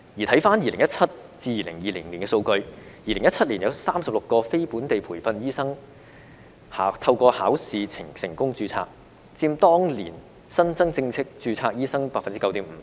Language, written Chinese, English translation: Cantonese, 回看2017年至2020年的數據 ，2017 年有36名非本地培訓醫生透過考試成功註冊，佔當年新增正式註冊醫生 9.5%。, Looking back at the figures from 2017 to 2020 36 NLTDs successfully registered through examination in 2017 which accounted for 9.5 % of the newly registered doctors that year